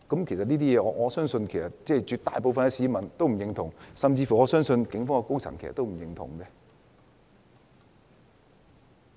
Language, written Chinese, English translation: Cantonese, 其實我相信絕大部分市民都不會認同這些行為，我相信警方高層亦不會認同。, In fact I believe most people would not approve of these behaviours and I believe the senior management of the Police would not approve as well